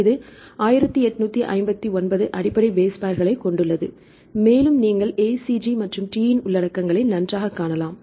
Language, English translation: Tamil, This has 1859 base pairs and you can see the contents of ACG and T right fine